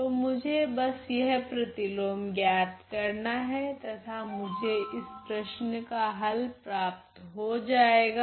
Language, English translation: Hindi, So, all I need to do is to evaluate this inverse and I am done and I have got the solution to this problem